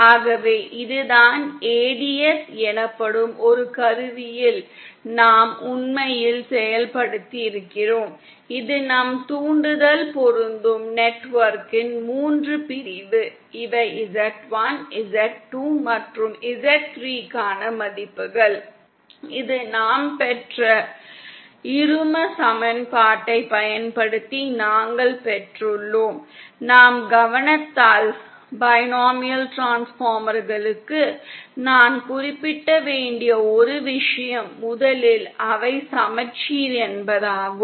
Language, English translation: Tamil, 25] So this is what we actually implemented on tool called ADS this is the three section of our impudence matching network, these are the values for Z1, Z2 and Z3 this we obtained using the binomial equation that we have derived, ah what we notice is that first of all one thing that I should mention for binomial transformers is that they are symmetric